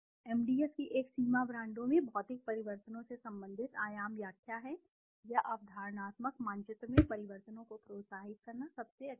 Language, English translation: Hindi, A limitation of MDS is the dimension interpretation relating to physical changes in brands or stimulate to changes in the perceptual map is difficult at best